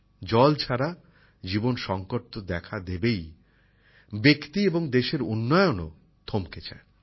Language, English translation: Bengali, Without water life is always in a crisis… the development of the individual and the country also comes to a standstill